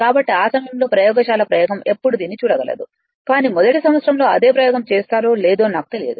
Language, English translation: Telugu, So, when we will do the laboratory experiment at that time you can see this, but I am not sure whether you will do the same experiment of first year or not right